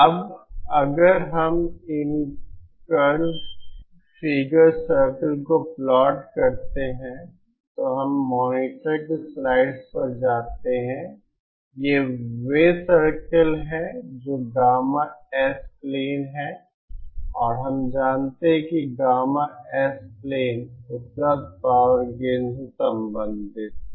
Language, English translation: Hindi, Now if we plot these curves these noise figure circles then we go to the slides on the monitor, these are the circles this the gamma S plain and we know that gamma S plain is related to the available power of gain